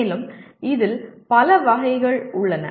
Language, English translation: Tamil, And there are many variants of this